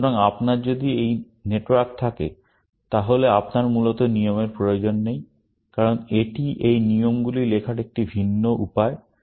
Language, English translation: Bengali, So, if you have this network, then you do not need the rules, essentially, because it is just a different way of writing these rules